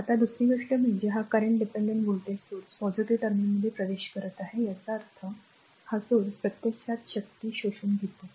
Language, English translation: Marathi, Now, the another thing is this current is entering into the dependent voltage source the plus terminal; that means, this source actually absorbing power